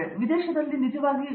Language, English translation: Kannada, But in abroad they are really